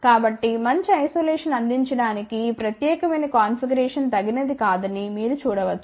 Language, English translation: Telugu, So, you can see that this particular configuration is not suitable to provide good isolation